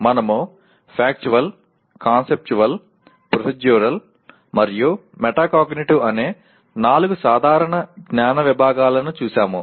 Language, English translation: Telugu, We looked at four general categories of knowledge namely Factual, Conceptual, Procedural, and Metacognitive